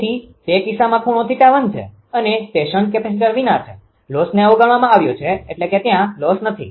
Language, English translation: Gujarati, So, in that case angle is theta 1; that is without shunt capacitor, loss is neglected loss is not there